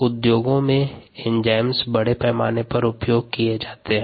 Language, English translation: Hindi, that is just examples of the use of enzymes in the industry